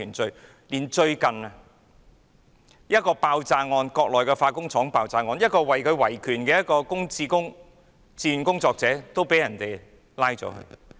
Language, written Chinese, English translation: Cantonese, 最近，在一宗國內的化工廠爆炸案中，一名維權的自願工作者被拘捕。, Recently a human rights volunteer was arrested in a case related to the explosion of a chemical plant in the Mainland